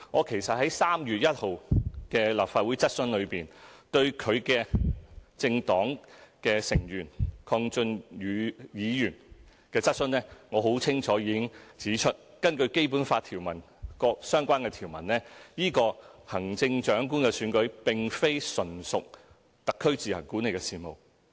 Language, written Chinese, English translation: Cantonese, 其實，在3月1日立法會質詢，我已就其政黨成員鄺俊宇議員的質詢，很清楚指出，根據《基本法》各相關條文，行政長官的選舉並非純屬特區自行管理的事務。, Actually in my answer to the question asked by Mr KWONG Chun - yu a fellow member of her political party at the Legislative Council meeting on 1 March I pointed out clearly that as provided by the relevant provisions of the Basic Law the Chief Executive Election was not purely an affair which the SAR administered on its own